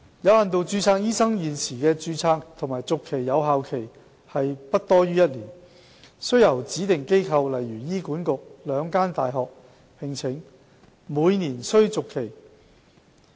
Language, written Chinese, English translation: Cantonese, 有限度註冊醫生現時的註冊及續期有效期為不多於1年，須由指定機構、兩間大學)聘請及每年續期。, At present the term of registration and renewal of doctors with limited registration is valid for up to one year subject to the employment by specified institutions and the two universities and annual renewal